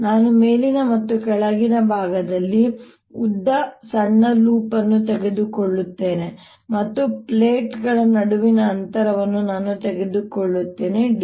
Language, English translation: Kannada, i will take a small loop of length, l on the upper and the lower side and the distance between the plates i will take to d